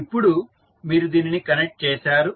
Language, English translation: Telugu, So now, you have connected this